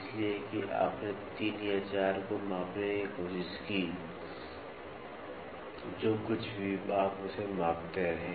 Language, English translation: Hindi, So, that you tried to get to measure 3 or 4 whatever it is you keep measuring that